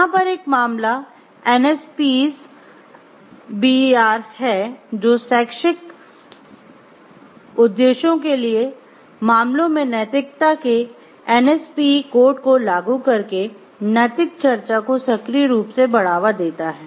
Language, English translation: Hindi, A case in point is NSPEs BER which actively promotes moral discussion by applying the NSPE code of ethics to cases for educational purposes